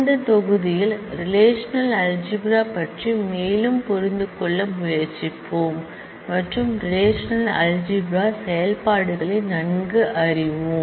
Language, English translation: Tamil, In this module we, will try to understand more on the relational algebra and familiarize with the operations of relational algebra